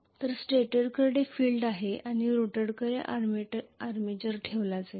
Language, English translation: Marathi, So stator is going to have the field and armature will be housed in the rotor